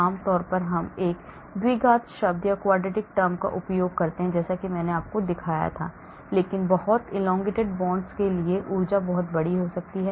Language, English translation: Hindi, generally we use a quadratic term as I showed you, but the energy can be very large for very elongated bonds